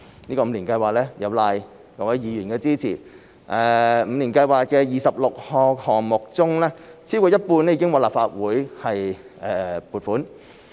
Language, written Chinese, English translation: Cantonese, 有賴各位議員的支持，五年計劃的26個項目中，超過一半已獲立法會撥款。, Thanks to the support of Members over half of the 26 projects under the Five - Year Plan have been granted funding approval by the Legislative Council